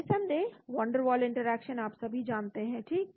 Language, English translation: Hindi, Of course van der waal interaction you all know right